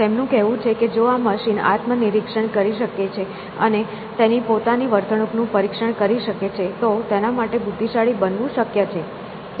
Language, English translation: Gujarati, He says that if this machine can introspect and examine its own behavior, then it is possible for it to become intelligent essentially